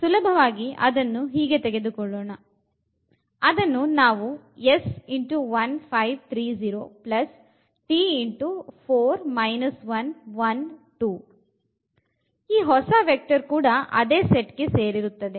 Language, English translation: Kannada, So, this, the new vector, will also belong to the same set